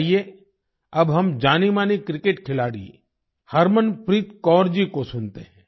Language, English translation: Hindi, Come, now let us listen to the famous cricket player Harmanpreet Kaur ji